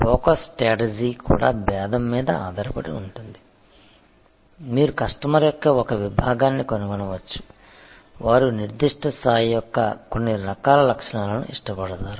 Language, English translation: Telugu, The focus strategy can also be based on differentiation, you can find a segment of customer, who like a certain types of features of certain level of